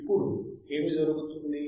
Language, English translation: Telugu, Now what will happen now